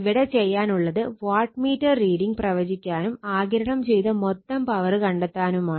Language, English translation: Malayalam, Now, in this case , you are predict the wattmeter readings find the total power absorbed rights